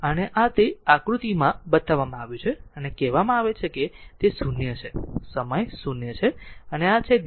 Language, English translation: Gujarati, And it is shown in figure this one this is t and this is say it is 0, time 0 and this is delta t